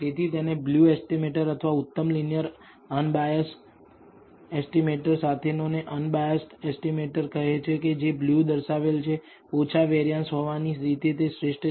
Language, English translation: Gujarati, Therefore, it is called a blue estimator or a unbiased estimator with the best linear unbiased estimator that is what it blue represents, best in the sense of having the least variance